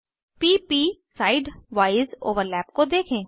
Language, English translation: Hindi, Observe the p p side wise overlap